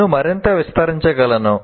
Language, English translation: Telugu, Now I can expand further